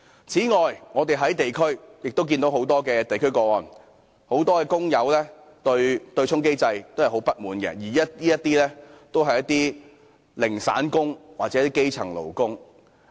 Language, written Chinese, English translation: Cantonese, 此外，我們亦從很多地區個案得悉，不少工友對於對沖機制非常不滿，而他們大多數是"零散工"或基層勞工。, In addition we learnt from cases in the districts that many workers are very much discontented with the offsetting mechanism and most of them are casual workers or grass - roots workers